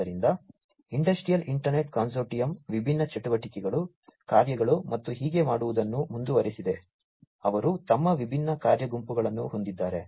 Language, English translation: Kannada, So, Industrial Internet Consortium continues to do different activities, tasks and so on, they have their different working groups